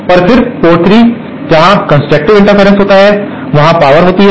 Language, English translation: Hindi, But then at port 3, where constructive interference happens, there there is addition of power